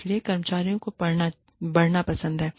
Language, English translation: Hindi, So, employees like to grow